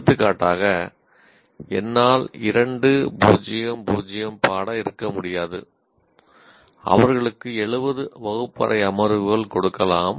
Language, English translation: Tamil, So, for example, I cannot have a 2 is to 0 is to 0 course and give them 70 classroom sessions